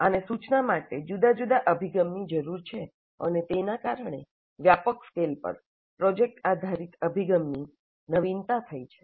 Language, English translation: Gujarati, These need a different approach to instruction and that has led to the innovation of project based approach on a wide scale